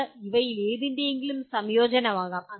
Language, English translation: Malayalam, And it can be a combination of any of these